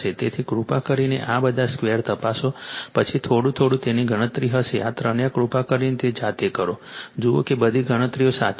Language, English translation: Gujarati, So, please check all these squares then by little bit it will be calculation all these three please do it of your own right, see that all calculations are correct